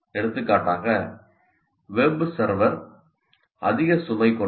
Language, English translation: Tamil, For example, web server is overloaded